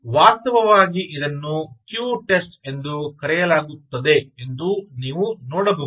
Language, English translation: Kannada, in fact, you can see that its called queue test